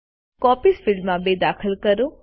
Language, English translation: Gujarati, In the Copies field, enter 2